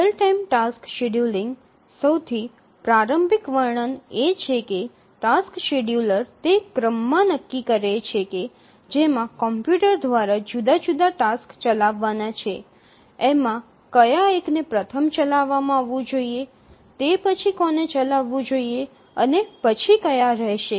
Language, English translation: Gujarati, The most elementary description we'll say that the task scheduler decides on the order in which the different tasks to be executed by the computer, which were to be executed first, which one to be executed next, and so on